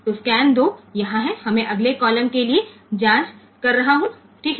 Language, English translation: Hindi, So, scan 2 is here I am checking for the next column ok